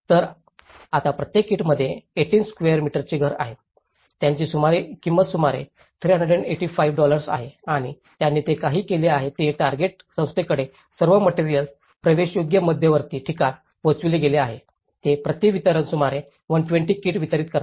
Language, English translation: Marathi, So, now each kit has 18 square meter house, which is costing about 385 dollars and what they did was the GOAL agency have trucked all the materials to accessible central points, delivering about 120 kits per distribution